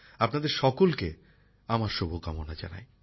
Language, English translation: Bengali, This is my best wish for all of you